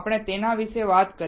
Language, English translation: Gujarati, We talked about it